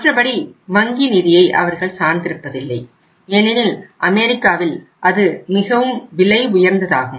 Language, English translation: Tamil, Otherwise, they do not depend upon the bank finance because it is very very expensive in US